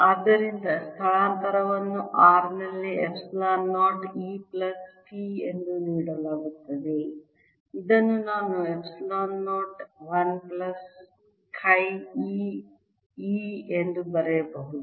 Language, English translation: Kannada, so displacement therefore at r is given as epsilon zero, e plus p, which i can write as epsilon zero, one plus kai, e at r